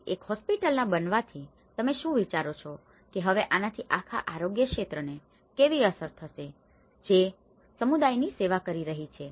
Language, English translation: Gujarati, So, being a hospital do you think now how it will affect the whole health sector and which is serving the community